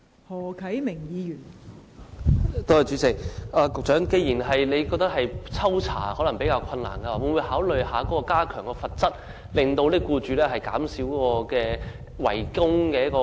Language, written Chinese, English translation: Cantonese, 代理主席，既然局長認為抽查比較困難，會否考慮加強罰則，減少僱主違供的情況？, Deputy President since the Secretary considers that it is rather difficult to conduct sampling investigations will he consider imposing heavier penalties to reduce employers default on contributions?